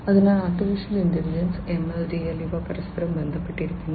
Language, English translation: Malayalam, So, Artificial Intelligence, ML, DL, etcetera, these are linked to each other